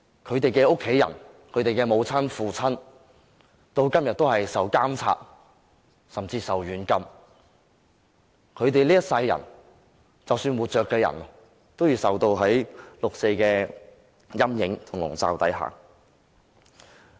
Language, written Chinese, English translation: Cantonese, 他們的家人和父母到今天仍然受到監控甚至軟禁，而活着的人這一生仍要活在六四的陰影下。, Today their family members and parents are still under surveillance or even house arrests . Those surviving must continue to live in the shadow of the 4 June incident for the rest of their lives